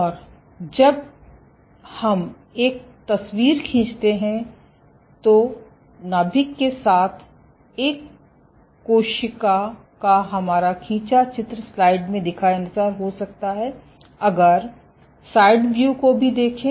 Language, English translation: Hindi, And though we like to draw a picture, our schematic of a cell with a nucleus might be like this, but if you look in side view